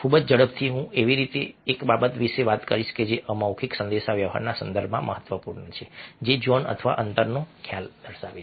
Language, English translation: Gujarati, i will a talk about something which a is significant in the context of non verbal communication, which is a concept of zone or distances, space